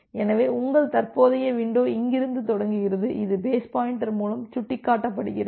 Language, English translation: Tamil, So, your current window starts from here so, this is pointing by the base pointer so, base pointer